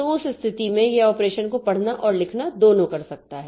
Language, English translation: Hindi, So, in that case, it can do both read and write operations